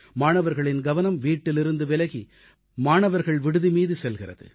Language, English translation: Tamil, The attention of students steers from home to hostel